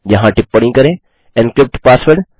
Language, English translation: Hindi, Here comment this as encrypt password